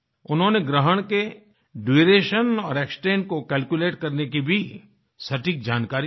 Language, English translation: Hindi, He has also provided accurate information on how to calculate the duration and extent of the eclipse